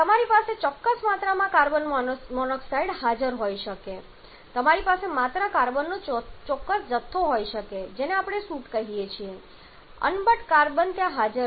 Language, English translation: Gujarati, You may have certain quantity of carbon monoxide present there you may have certain quantity of just carbon that is we call unburned carbon that is present there